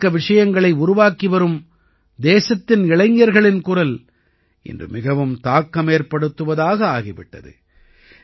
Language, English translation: Tamil, The voice of the youth of the country who are creating content has become very effective today